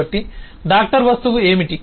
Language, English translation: Telugu, so what is the doctor object